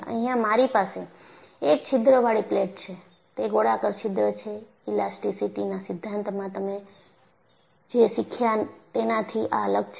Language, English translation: Gujarati, Here,I have a plate with the hole which is a circular hole; this is different from what you had learned from theory of elasticity